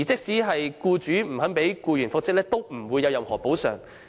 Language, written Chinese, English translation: Cantonese, 再者，僱主不讓僱員復職無須作出任何補償。, Moreover the employer is not required to make any compensation for not consenting to the reinstatement